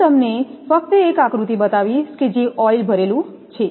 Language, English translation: Gujarati, I will just show you one diagram that oil filled one